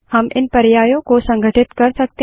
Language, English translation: Hindi, We can combine these options as well